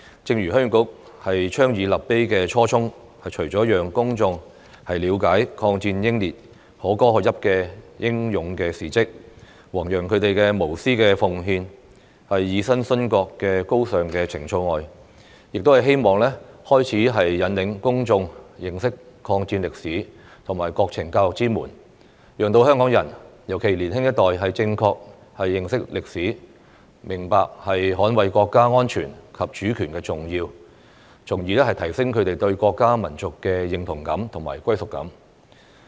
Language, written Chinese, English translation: Cantonese, 正如鄉議局倡議立碑的初衷，除了讓公眾了解抗戰英烈可歌可泣的英勇事蹟，弘揚他們無私奉獻、以身殉國的高尚情操外，亦希望開啟引領公眾認識抗戰歷史和國情教育之門，讓香港人，尤其是年輕一代，正確認識歷史，明白捍衞國家安全及主權的重要，從而提升他們對國家民族的認同感和歸屬感。, The intent of the Heung Yee Kuk in proposing to erect the monument is not only to enable the public to understand the laudable and heroic deeds of the martyrs and promote their selfless dedication and noble sentiments of sacrificing their lives for the country . It is also to open the door for public education on the history of the war and national conditions so that Hong Kong people especially the younger generation can have a correct understanding of history and the importance of defending national security and sovereignty thereby enhancing their sense of national and ethnic identity and belonging